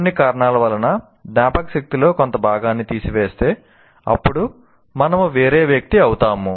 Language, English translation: Telugu, If the some part of the memory for some reason is removed, then we become a different individual